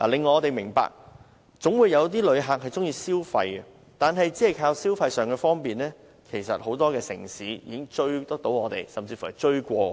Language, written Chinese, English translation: Cantonese, 我明白總會有旅客喜歡消費，但如我們只靠消費上的方便，很多城市都會追上我們，甚至超越我們。, I understand that there are surely visitors who like shopping but if Hong Kong merely has shopping convenience as its competitive edge many cities will catch up with us or even overtake us